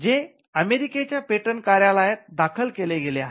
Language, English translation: Marathi, filed before the United States patent office